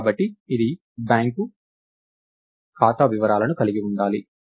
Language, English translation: Telugu, So, this is a supposed to have details of a bank account